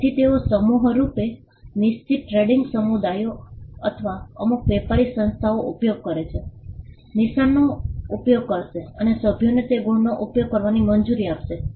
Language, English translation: Gujarati, So, they collectively use a mark certain trading communities or certain trading bodies, would use mark and would allow the members to use those marks